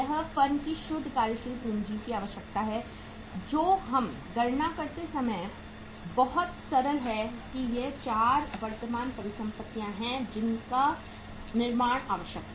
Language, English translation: Hindi, This is the net working capital requirement of the firm which is very simple to calculate that these are the 4 current assets required to be built up